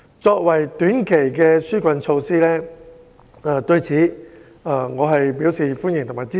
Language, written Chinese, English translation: Cantonese, 作為短期的紓困措施，我對此表示歡迎和支持。, I welcome and support it as a short - term relief measure